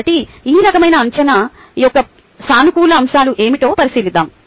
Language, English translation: Telugu, so lets look into what are the positive aspects of this type of a assessment